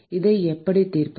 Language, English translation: Tamil, How do we solve this